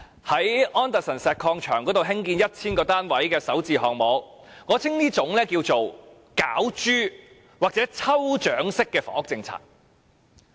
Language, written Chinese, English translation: Cantonese, 在安達臣石礦場興建 1,000 個單位的首置項目，我稱之為"攪珠"或抽獎式的房屋政策。, I call the 1 000 Starter Home units to be built at the Anderson Road Quarry a lucky draw - type housing policy